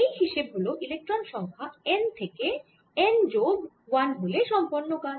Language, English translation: Bengali, this is from going from n equal to number of electron, n to n plus one